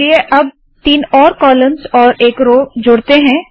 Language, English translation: Hindi, Now let us add three more columns and one more row